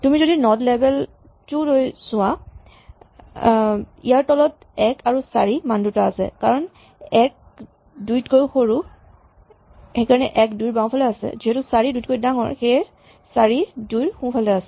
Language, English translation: Assamese, If you go down, for instance, if you look at the node label two then below it has values 1 and 4 since 1 is smaller than 2, 1 is to the left of 2 and since 4 is bigger than 2, 4 is to the right of 2